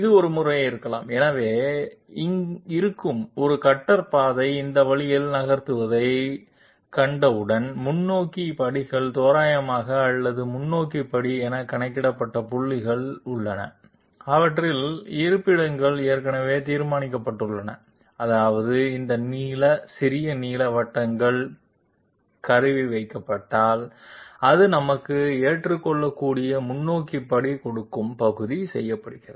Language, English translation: Tamil, One method could be, once we see one existing cutter path moving this way and there are forward steps approximated or points calculated as per forward step, their locations are already determined that means these blue small blue circles are the positions at which if the tool is placed, it will give us acceptable forward steps that part is done